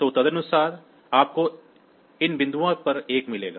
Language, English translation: Hindi, So, accordingly you will get a one at these point